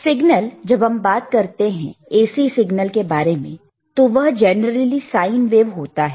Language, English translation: Hindi, Signals in the sense, that when you talk about AC signal, it is generally sine wave,